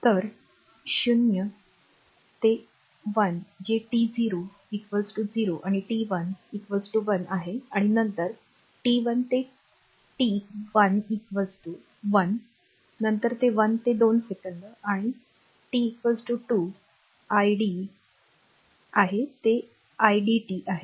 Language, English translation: Marathi, So, 0 to 1 that is t 0 is equal to 0 and t 1 is equal to 1 right and then this one then t 1 to t t 1 is equal to 1 then 1 to 2 second and t is equal to 2 what is the idt this is the idt